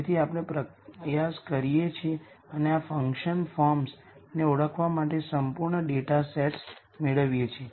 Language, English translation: Gujarati, So, we try and get complete datasets for identifying these function forms